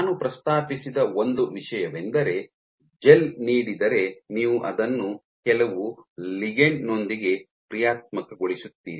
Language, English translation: Kannada, So, one thing I mentioned that given a gel you functionalize it with some ligand